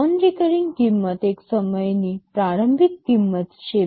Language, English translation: Gujarati, The non recurring cost is the one time initial cost